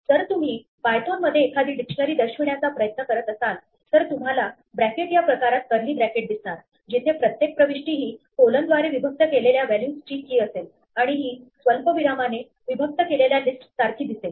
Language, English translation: Marathi, If you try to display a dictionary in python, it will show it to you in this bracket in this kind of curly bracket notation, where each entry will be the key followed by the values separated by the colon and then this will be like a list separated by commas